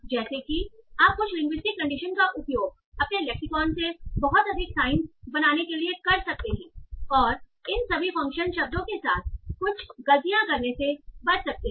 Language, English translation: Hindi, So like that you can use some linguistic intuitions to make much more sense from your lexicon and avoid doing some mistakes with all these different function words